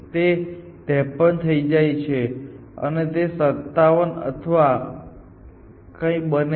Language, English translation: Gujarati, So, this becomes 55, this becomes 53 and this becomes 57 or something like that